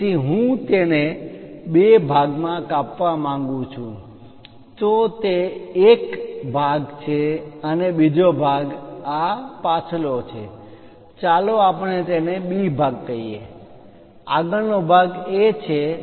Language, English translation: Gujarati, So, if I want to really cut it into two parts separate them out this is one part and the other part is this back one let us call B part, the front one is A